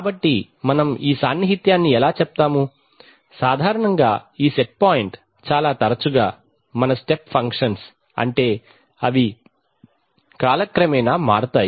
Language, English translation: Telugu, So how do we express this closeness, we express it in terms of, typically this set point, generally very often our step functions of time, that is they change over time like this